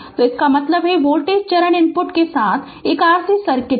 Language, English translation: Hindi, So, next is step response of an RC circuit